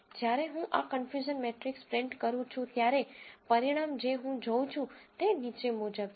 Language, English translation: Gujarati, When I print this confusion matrix, the result what I see is as follows